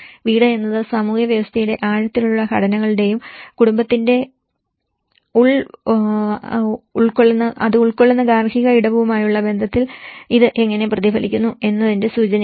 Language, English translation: Malayalam, The home is a connotative of the deep structures of the social system and how these are reflected in familyís relationship to the domestic space it occupies